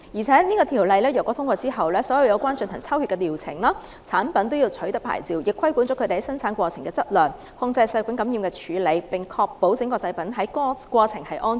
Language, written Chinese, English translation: Cantonese, 再者，《條例草案》獲通過後，所有涉及抽血的療程、產品均要取得牌照，亦規管生產過程的質量、控制細菌感染的處理，並確保整個製造過程是安全的。, Besides upon passage of the Bill all treatments and products involving blood taking shall require licensing; the quality and quantity of the manufacturing process as well as bacterial infection control shall be regulated so as to ensure the safety of the entire manufacturing process